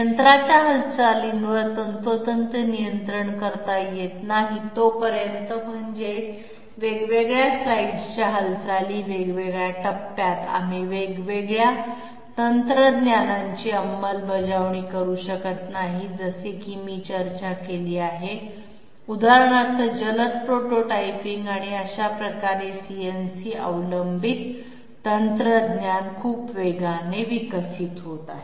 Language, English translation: Marathi, Unless the movements of the machine can be precisely controlled I mean the difference slides movements, different stages, we cannot have the implementation of different technology as I discussed for example rapid prototyping and that way CNC dependent technology is developing very fast